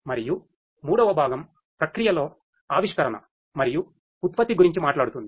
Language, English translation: Telugu, And the third component talks about innovation in the process and the production